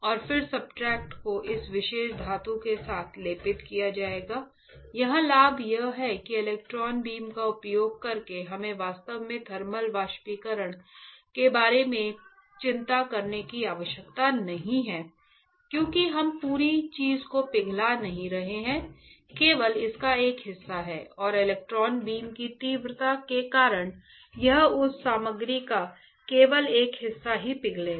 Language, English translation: Hindi, And then substrate will be coated with this particular metal the advantage here is that the using electron beam we do not required to actually worry about thermal evaporation because we are not melting entire thing, only a part of it and because of the electron beam intensity this only the part of that material will get melted